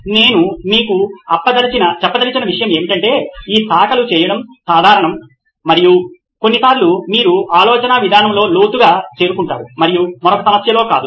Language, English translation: Telugu, So one thing I would like to tell you is that this branching is common it’s done and sometimes you reach levels deeper in one line of thinking and not in another problem